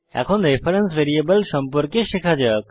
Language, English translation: Bengali, Now let us learn about reference variables